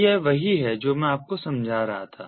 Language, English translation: Hindi, so this is what i was explaining to you so far